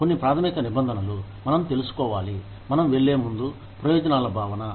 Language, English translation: Telugu, Some basic terms, that we need to know, before we move on to, the concept of benefits